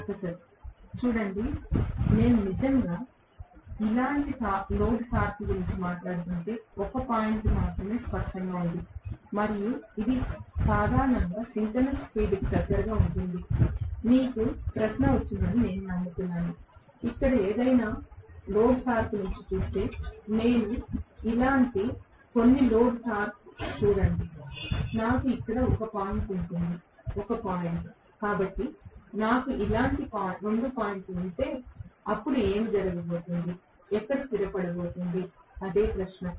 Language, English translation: Telugu, Student: Professor: See, if I am talking about actually a load torque like this there is only 1 point clearly and it will normally settle closer to synchronous speed, I hope you got the question, if I look at any of the load torque here if I look at some load torque like this, I will have 1 point here 1 point here, so if I am having 2 points like this, then what is going to happen, where is going to settle, that is the question